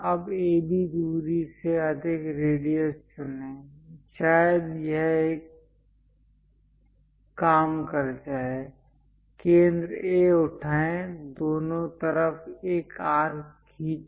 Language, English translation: Hindi, Now, pick a radius greater than AB distance; perhaps this one going to work, pick centre A, draw an arc on both sides